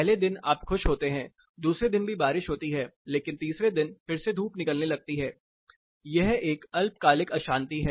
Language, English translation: Hindi, The first day you are happy, the second day it is raining, but the third day it starts getting sunny again it is a short term thermal disturbance